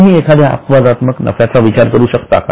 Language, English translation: Marathi, Can you think of an exceptional item of profit